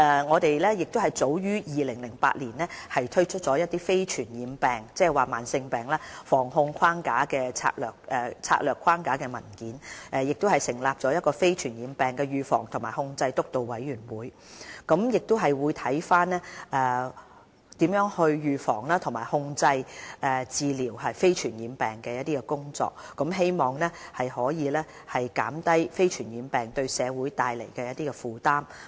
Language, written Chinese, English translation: Cantonese, 我們早於2008年推出《促進健康：香港非傳染病防控策略框架》的文件，亦成立了防控非傳染病督導委員會，檢視如何預防、控制和治療非傳染病的工作，希望可以減低非傳染病對社會造成的負擔。, We published a document entitled Promoting Health in Hong Kong A Strategic Framework for Prevention and Control of Non - communicable Diseases in 2008 and set up a Steering Committee on Prevention and Control of Non - communicable Diseases to review the prevention control and treatment of NCDs with a view to reducing the burden of NCDs on society